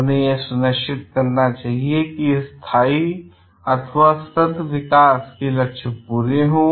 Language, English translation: Hindi, They should make sure that the goals of sustainable developments are met